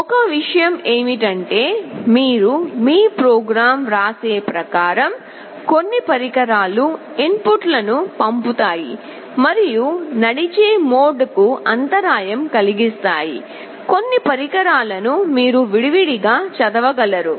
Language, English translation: Telugu, The only thing is that you have to write your program in such a way some of the devices will be sending the inputs and interrupt driven mode some of the devices you can just read them one by one